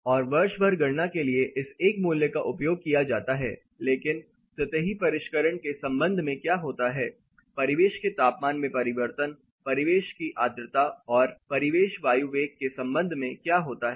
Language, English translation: Hindi, And this is a single value which is used for calculation through the year, but what happens with respect to the surface finished, with respect to the change in ambient temperature, ambient humidity, and ambient air velocity